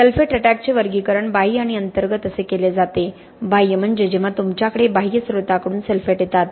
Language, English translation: Marathi, Sulphate attack is classified into external and internal, external is when you have sulphates coming from an external source, okay